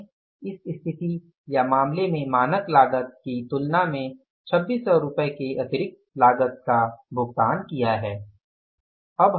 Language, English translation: Hindi, We have paid extra cost as compared to the standard cost by this amount of 2,600 rupees